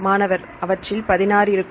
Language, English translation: Tamil, There will be 16